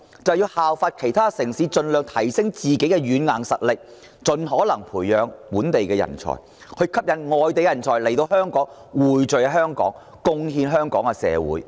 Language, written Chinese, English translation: Cantonese, 就是效法其他城市，盡量提升自身軟硬實力，盡可能培養本地人才，從而吸引外地人才匯聚香港，貢獻香港社會。, It means Hong Kong should follow the footsteps of other cities endeavouring to boost our soft and hard power while nurturing home - grown talent with a view to attracting overseas talent to Hong Kong to work for our society